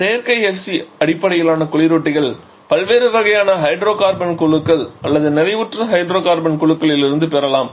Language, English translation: Tamil, Now synthetic FC refrigerants can be derived from different kinds of hydrocarbon groups of saturated hydrocarbon groups